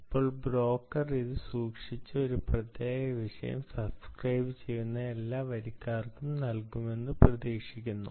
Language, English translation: Malayalam, and now the broker is expected to keep it with it and give it to all subscribers who subscribe to this particular topic